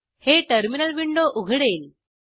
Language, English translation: Marathi, This will open the Terminal window